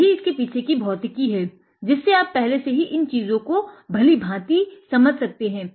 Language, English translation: Hindi, That is the fundamental science behind it, the physics behind it which you understand these things very well before